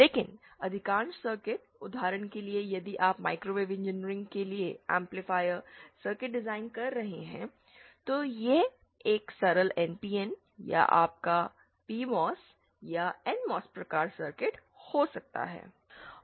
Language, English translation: Hindi, But most of the circuits, for example if you are designing an amplifier circuit for microwave engineering, it might be a simple say NPN or your PMOS or NMOS type circuits